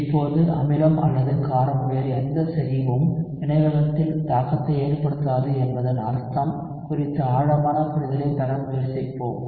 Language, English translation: Tamil, Now let us try to get a deeper understanding of what it means that no other concentration of acid or base has an impact on the reaction rate